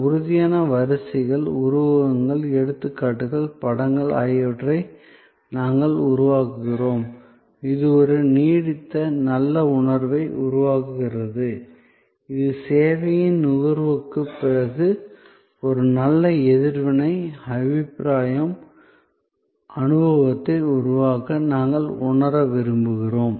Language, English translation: Tamil, We create tangible queues, metaphors, examples, images, which create a lingering good feeling, which we want to feel to create a feel good reaction, impression, experience, after consumption of service